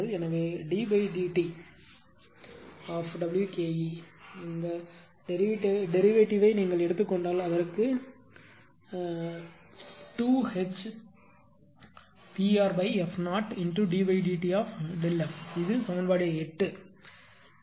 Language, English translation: Tamil, So, d dt of W Ke is equal to if you take the derivative it will 2 HP r upon f 0 into d dt of delta f this is equation 8 right